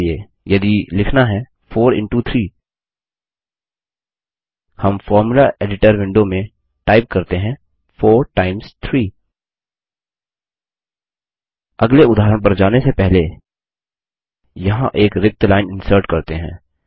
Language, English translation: Hindi, For example, to write 4 into 3, , we just need to type in the Formula Editor window 4 times 3 Before we go to the next example, let us insert a blank line here